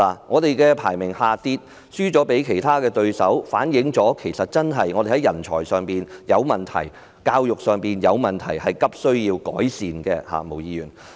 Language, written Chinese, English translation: Cantonese, 香港排名下跌，輸給其他對手，這反映出我們在人才上有問題及教育上有問題，急需改善。, The drop in our ranking and the defeat by our competitors indicate that there are problems with the supply of talents and education in Hong Kong . Urgent improvement is needed